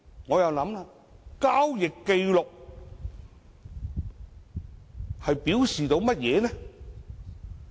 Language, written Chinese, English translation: Cantonese, 請問交易紀錄代表甚麼呢？, May I ask about the significance of transaction records?